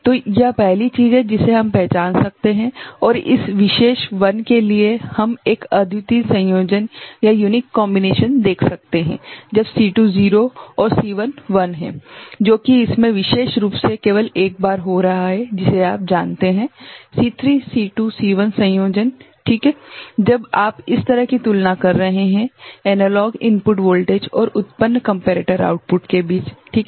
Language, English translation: Hindi, So, this is the first thing that we can identify and for this particular 1, we can see a unique combination when C2 is 0 and C1 is 1, which is occurring only once in this particular you know, C3 C2 C1 combinations that is possible ok, when you are doing a comparison like this of the analog input voltage and generating comparator outputs ok